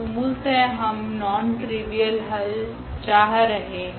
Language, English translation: Hindi, So, basically what we are looking for, we are looking for the non trivial solution